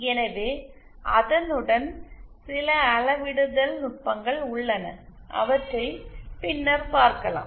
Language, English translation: Tamil, So, with that, there are some scaling techniques which shall cover later